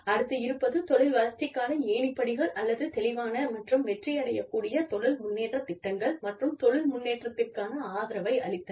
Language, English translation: Tamil, Development of career ladders, or clear and achievable career progression programs, and provision of support for career progression